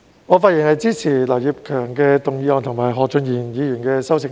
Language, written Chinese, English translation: Cantonese, 我發言支持劉業強議員的議案和何俊賢議員的修正案。, I rise to speak in support of Mr Kenneth LAUs motion and Mr Steven HOs amendment